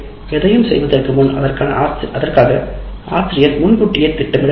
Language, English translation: Tamil, So, anything a teacher wants to do, it has to be planned in advance